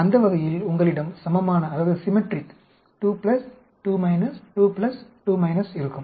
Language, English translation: Tamil, So 2 power 4 will be 2 into 2 into 2 into 2